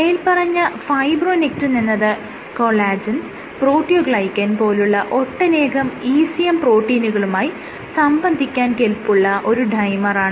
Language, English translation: Malayalam, So, fibronectin is a dimmer, it is a ECM protein, it binds to other ECM proteins including collagen proteoglycans